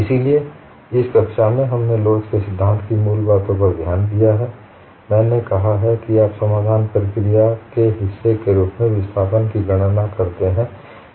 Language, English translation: Hindi, So, in this class, we have looked at basics of theory of elasticity; I have said that you determine displacement as part of the solution procedure